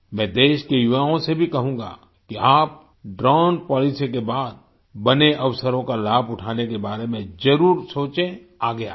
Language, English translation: Hindi, I will also urge the youth of the country to certainly think about taking advantage of the opportunities created after the Drone Policy and come forward